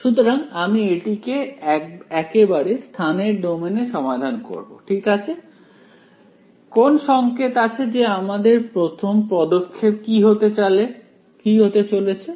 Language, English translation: Bengali, So, we will solve it directly in the spatial domain itself ok, any hints on what should be the first step